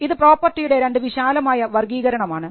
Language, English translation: Malayalam, These are two broad classifications of property